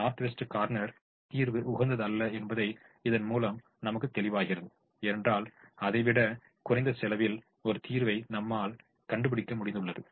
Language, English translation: Tamil, it also now tells us that the north west corner solution is not optimal because we were able to find a solution with the lesser cost than that